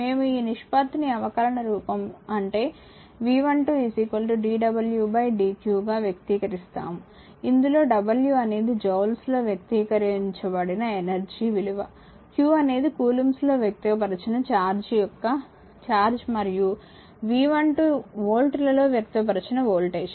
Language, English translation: Telugu, We express this ratio in differential form that is b is equal to small v is equal to capital V 12 suffix is equal to d w upon dq, for w is the energy in joules, q is the charge in coulombs and V 12 the voltage in volts